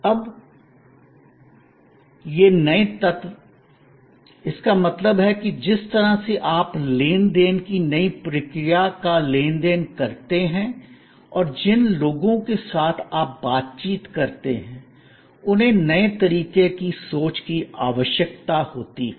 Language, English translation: Hindi, Now, there, these new elements; that means the way you transact the new process of transaction and the people with whom you interact need new way of thinking